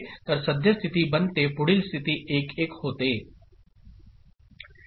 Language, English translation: Marathi, So, current state becomes 1